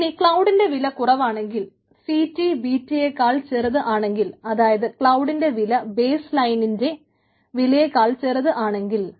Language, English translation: Malayalam, now, when cloud is cheaper, when the ct is less than bt, if the cost of cloud is less than the cost of baseline, then it is cheaper